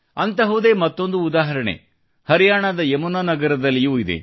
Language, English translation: Kannada, There is a similar example too from Yamuna Nagar, Haryana